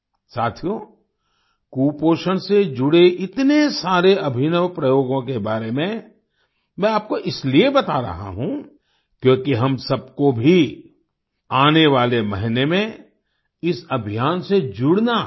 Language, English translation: Hindi, Friends, I am telling you about so many innovative experiments related to malnutrition, because all of us also have to join this campaign in the coming month